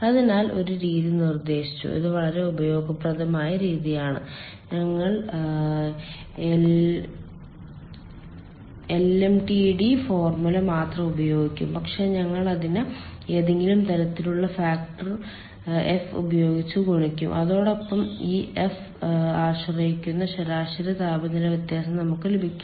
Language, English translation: Malayalam, it is very, which is very useful method, that we will use the lmtd formula only, but we will multiply it with some sort of a factor, f, and with that we will get the mean temperature difference